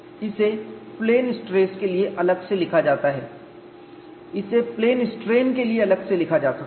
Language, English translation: Hindi, It is separately written for plane stress, this separately written for plane strain